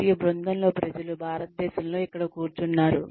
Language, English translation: Telugu, And, the team is, people are sitting here in India